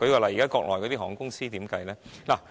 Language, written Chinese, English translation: Cantonese, 例如國內的航空公司要怎樣計算呢？, For example how should we count the benefits related to Mainland airlines?